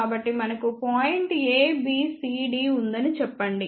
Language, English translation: Telugu, So, let us say we have point A, B, C, D